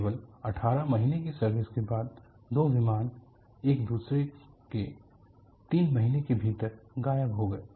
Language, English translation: Hindi, After only 18 months of service,two aircrafts disappeared within three months of each other